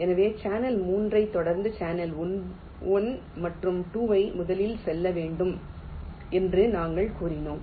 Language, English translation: Tamil, so we said that we have to first route channel one and two, followed by channel three